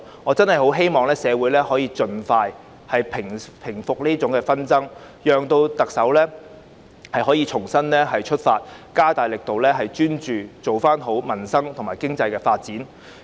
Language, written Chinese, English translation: Cantonese, 我真的很希望社會現時的紛爭可以盡快平息，讓特首可以重新出發，加大力度，專注做好改善民生和發展經濟的工作。, I really hope the current social disputes can be resolved expeditiously so that the Chief Executive can make a new start by stepping up and focusing on the work for improvement of the peoples livelihood and economic development